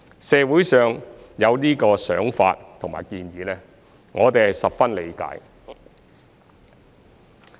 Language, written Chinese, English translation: Cantonese, 社會上有這個想法和建議，我們十分理解。, We fully appreciate this view and suggestion in society